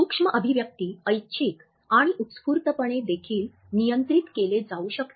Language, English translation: Marathi, Micro expressions can also be controlled voluntary and involuntary